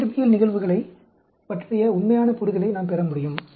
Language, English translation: Tamil, We can get some actual understanding of the physical phenomena